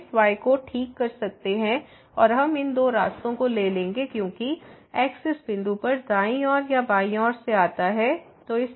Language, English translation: Hindi, We can fix this and we will take these two paths as approaches to this point from the right side or from the left side